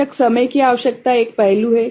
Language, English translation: Hindi, Of course, time required another thing is one aspect